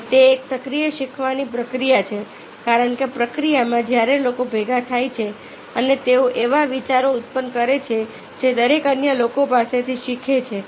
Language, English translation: Gujarati, and it is active learning process, because in the process, when people gather together and the generate the ideas, every one lawns from the others